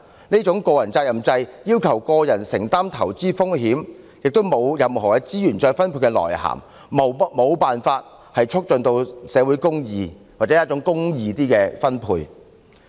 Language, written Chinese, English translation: Cantonese, 這種個人責任制要求個人承擔投資風險，亦沒有任何資源再分配的作用，無法促進社會公義或較公義的分配。, This personal responsibility system requires an individual to bear investment risks . As it does not serve the function of redistribution of resources it fails to advance social justice or a more equitable distribution